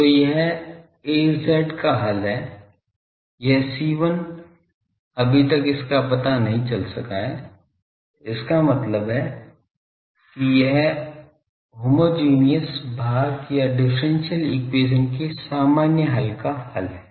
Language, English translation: Hindi, So, this is a solution Az is this C1 is yet to be found out so that means, this is the solution for the homogeneous part or the general solution of the differential equation